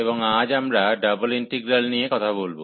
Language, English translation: Bengali, And today, we will be talking about Double Integrals